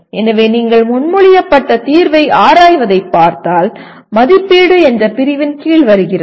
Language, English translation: Tamil, So if you look at examining a proposed solution comes under the category of evaluation